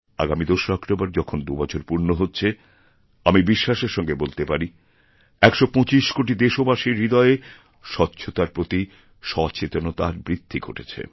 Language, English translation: Bengali, Now it is going to be nearly two years on 2nd October and I can confidently say that one hundred and twenty five crore people of the country have now become more aware about cleanliness